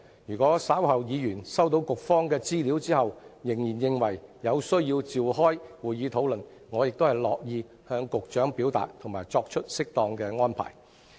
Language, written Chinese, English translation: Cantonese, 如果議員稍後收到局方的資料後仍然認為有需要召開會議討論，我亦樂意向局長表達及作出適當的安排。, If Members still find it necessary to hold a meeting to discuss the matter after receipt of the information provided by the Bureau later I am prepared to convey their views to the Secretary and make appropriate arrangements